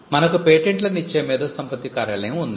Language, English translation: Telugu, You have an office, the Intellectual Property Office which grants the patents